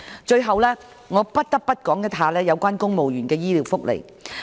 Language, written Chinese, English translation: Cantonese, 最後我不得不說的是，有關公務員的醫療福利。, Finally something I have to say is civil service medical benefits